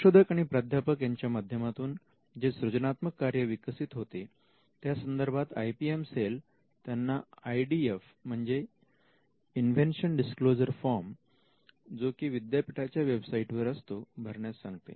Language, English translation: Marathi, Now the creative work that emanates from the students and the faculty members, this the IPM cell requires them to fill an IDFs which is an invention disclosure form which is usually found in the institute website